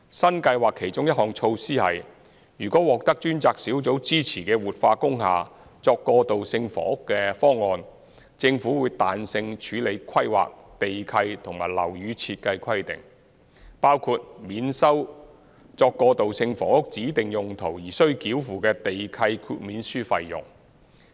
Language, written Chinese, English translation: Cantonese, 新計劃其中一項措施是，如獲專責小組支持的活化工廈作過渡性房屋的方案，政府會彈性處理規劃、地契和樓宇設計規定，包括免收作過渡性房屋指定用途而須繳付的地契豁免書費用。, One of the measures under the new scheme is that if these transitional housing projects supported by the task force are to take place in industrial buildings the Government will exercise flexibility in handling applications under planning land lease and building design requirements including charging a nil waiver fee for the specific use of transitional housing